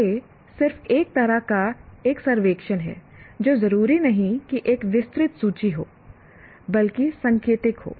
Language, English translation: Hindi, This is just a kind of a survey, not necessarily an exhaustive list, but indicative one